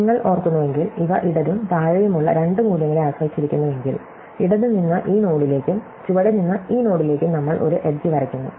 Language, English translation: Malayalam, If you remember, if these depends on the two values, left and below, we draw an edge from the left to this node and from below to this node